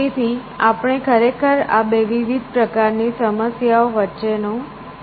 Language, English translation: Gujarati, So, we can actually distinguish between these two different kinds of problems